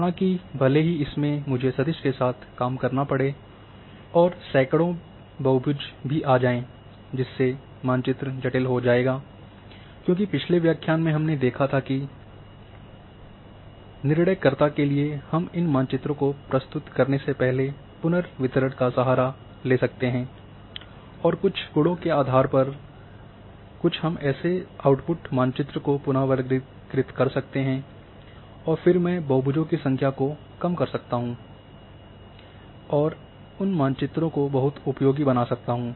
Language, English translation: Hindi, However, even if I have to handle in vector and the hundreds of polygons comes and the my map become complicated as in previous lecture we had seen that we can resort before we present these maps to say decision makers we can resort to the reclassification and based on certain attributes we can reclassify such output maps and then I can reduce the number of polygons and can make those maps very very useful